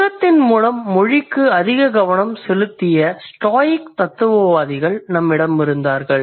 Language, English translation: Tamil, Then we had the Stoic philosophers who gave most attention to language through logic